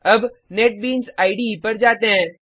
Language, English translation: Hindi, Now let us switch to Netbeans IDE